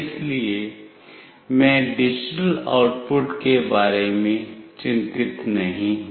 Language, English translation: Hindi, So, I am not concerned about the digital output